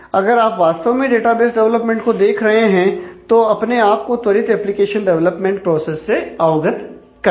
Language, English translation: Hindi, So, if you are locating into really the development of database applications, get yourself familiar with this rapid application development processes